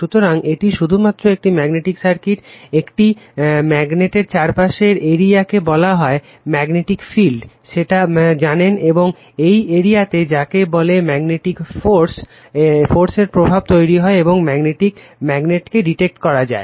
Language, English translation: Bengali, So, just a magnetic circuit actually, the area around a magnet is called the magnetic field right that you know and it is in this area that we are what you call that the effect of the magnetic force produced by the magnet can be detected right